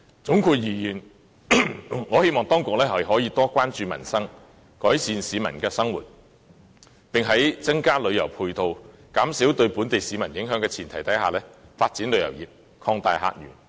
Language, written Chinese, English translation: Cantonese, 總括而言，我希望當局可以多關注民生，改善市民的生活，並在增加旅遊配套，減少對本地市民影響的前提下發展旅遊業，擴大客源。, All in all I hope that the authorities can show more concern for the peoples livelihood and improve the living of the people while taking forward the development of tourism and opening up new visitor sources on the premise of providing additional tourism supporting facilities and reducing the impact on the local people